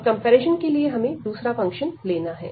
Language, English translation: Hindi, And now for the comparison we have to take another function